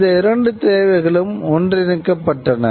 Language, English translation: Tamil, And these two needs were getting amalgamated